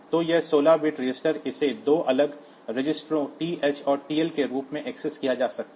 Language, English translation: Hindi, So, this 16 bit register it can be accessed as 2 separate registers TH and TL